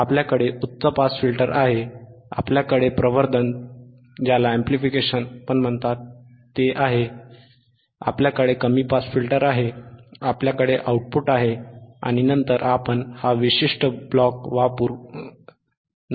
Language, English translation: Marathi, yYou have a high pass filter, you have amplification, you have a low pass filter, you have the output and then you can usinge this particular block,